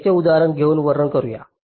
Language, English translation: Marathi, i am explaining with an example